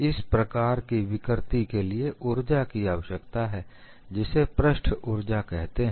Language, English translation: Hindi, Such deformation requires energy and is known as surface energy